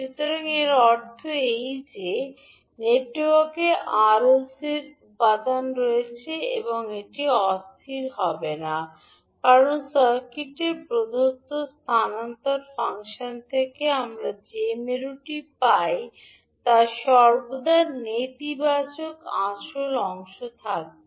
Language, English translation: Bengali, So that means that, in the network which contains R, L and C component will not be unstable because the pole which we get from the given transfer function of circuit will have always negative real part